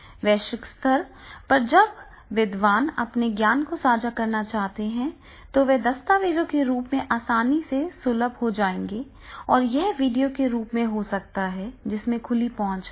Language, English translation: Hindi, At the global level when the scholars, when they are sharing their knowledge and then that will be easily accessible and then it can be in the form of the documents and it can be in the form of the videos and therefore open access will be there